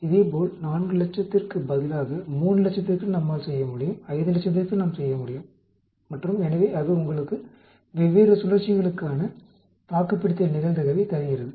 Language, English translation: Tamil, Similarly we can do it for different numbers also instead of 400,000 we can do it for 300,000, we can do it for 500,000 and so that gives you survival probability for different cycles